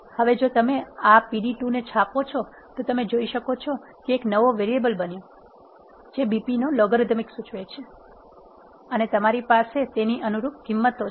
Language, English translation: Gujarati, Now, if you print this pd2 you can see that, there is another variable that is logarithm of BP that is created and you have the corresponding values of it